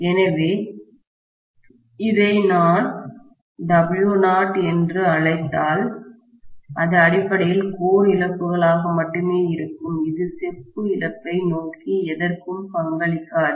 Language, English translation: Tamil, So if I may call this as W naught, W naught will be basically only the core losses, it will not contribute to anything towards the copper loss